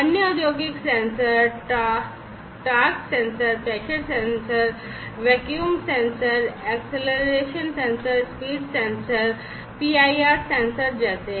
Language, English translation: Hindi, Other industrial sensors are like torque sensor, pressure sensor, vacuum sensor, acceleration sensor, speed sensor, PIR sensor